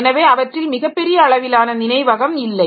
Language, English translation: Tamil, So, they don't have very large amount of memory